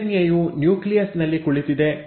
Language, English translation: Kannada, The DNA is sitting in the nucleus